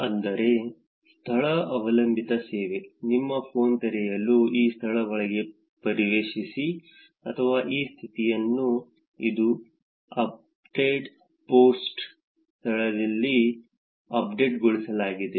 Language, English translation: Kannada, So, that is location based service, you open your phone, you check into this location or post this status update with the location updated in it